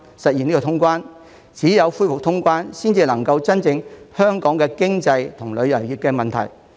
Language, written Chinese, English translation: Cantonese, 只有恢復通關，才能夠真正解決香港的經濟及旅遊業的問題。, Only when cross - border travel is resumed can problems with the economy and the tourism industry of Hong Kong be truly solved